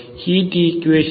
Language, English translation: Tamil, So what is the heat equation